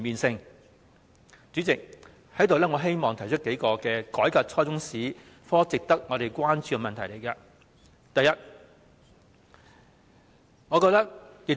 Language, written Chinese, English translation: Cantonese, 主席，我希望在此提出改革初中中史科時值得關注的數個問題。, President I would like to raise a few questions worth considering when revising the Chinese History curriculum at junior secondary level